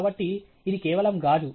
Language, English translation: Telugu, So, this is just glass